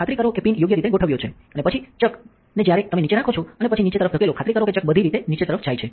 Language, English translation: Gujarati, So, make sure that the pin is correctly adjusted and then place the chuck underneath and when you then push down make sure that the chuck goes all the way down